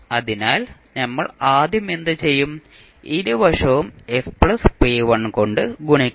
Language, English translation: Malayalam, So, what we will do first, we will multiply both side by s plus p1